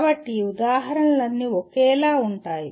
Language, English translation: Telugu, So all these examples are similar